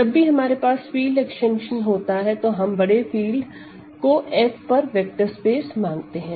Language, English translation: Hindi, Let this be a field extension, we think of rather I will say we can consider K as a vector space over F